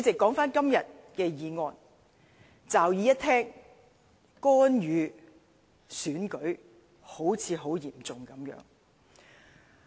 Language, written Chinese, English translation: Cantonese, 說回今天的議案，驟耳一聽，干預選舉好像很嚴重。, I now come back to todays motion . From the sound of it interference in an election seems to be very serious